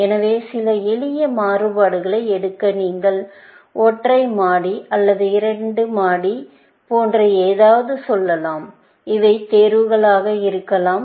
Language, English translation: Tamil, So, just to take some simple variations, you might say something, like single storey or a duplex; these might be choices